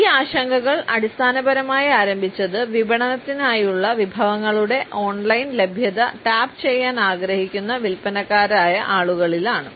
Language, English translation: Malayalam, These concerns basically is started with the sales people, people who wanted to tap the online availability of resources for marketing